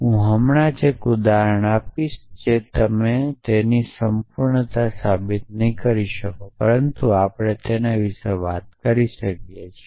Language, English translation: Gujarati, So, I will just give you an example you would not prove their completeness but we can talk about it essentially